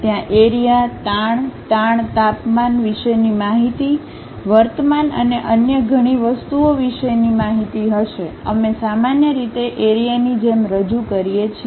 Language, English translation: Gujarati, There will be fields, information about stresses, strains, temperature perhaps the information about current and many other things, we usually represent like fields